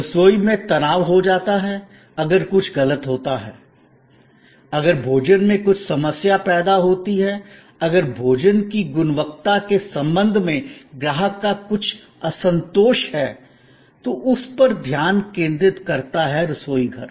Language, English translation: Hindi, The kitchen gets a tension if there is something that goes wrong, if the food creates some problem, if there is some dissatisfaction of the customer with respect to the nature and the style or the quality of the food delivered, then there is a focus on the kitchen